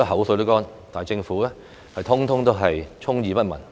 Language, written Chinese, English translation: Cantonese, 我盡費唇舌，政府卻充耳不聞。, I have lobbied really hard but the Government turned a deaf ear to what I have said